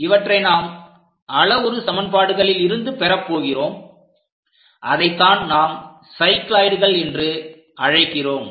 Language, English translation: Tamil, We are going to get from this parametric equations, that is what we call cycloids